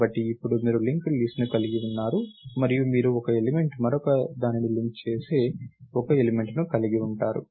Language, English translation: Telugu, So, now, you have a linked list, and you have one element linking to another linking to another and so, on